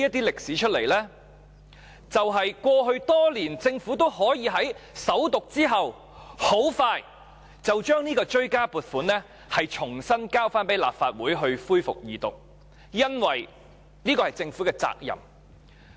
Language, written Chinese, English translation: Cantonese, 因為過去多年，政府均可在首讀後很快便將追加撥款條例草案提交立法會恢復二讀，因為這是政府的責任。, Because over the years the Government always managed to expeditiously table the supplementary appropriation bill before the Legislative Council for resumption of the Second Reading debate after the First Reading of the bill which is a duty of the Government